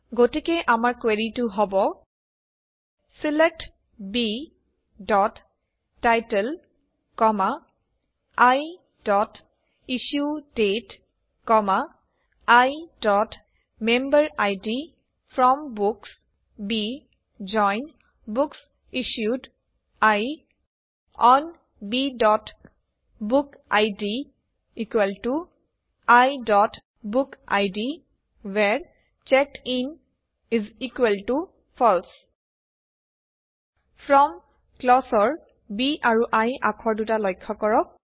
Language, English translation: Assamese, So the query is: SELECT B.title, I.IssueDate, I.Memberid FROM Books B JOIN BooksIssued I ON B.bookid = I.BookId WHERE CheckedIn = FALSE Notice the letters B and I in the FROM clause